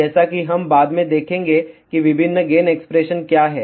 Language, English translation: Hindi, As we will see later on, what are the different gain expression